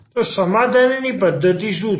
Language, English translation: Gujarati, So, what are the solution methods